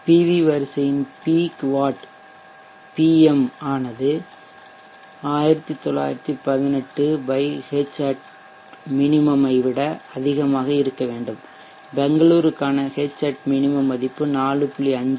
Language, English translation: Tamil, The array peak fat pm should be greater than 1918 watt by Hat minimum and Hat minimum for Bangalore they are founded to be 4